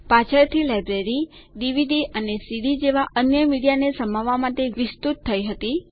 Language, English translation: Gujarati, Later, the library expanded to have other media such as DVDs and CDs